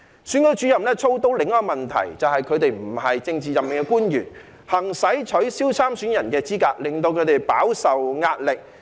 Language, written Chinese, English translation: Cantonese, 選舉主任操刀的另一個問題，就是他們不是政治任命的官員，行使取消參選人的資格，令他們飽受壓力。, Another problem with entrusting this task to Returning Officers is that as they are not politically appointed officials when they are made to exercise the power to disqualify candidates in an election they are put under tremendous pressure